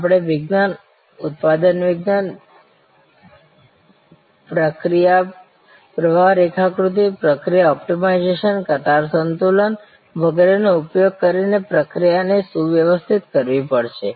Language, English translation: Gujarati, We have to streamline the process using science, manufacturing science, process flow diagram, process optimization, line balancing and so on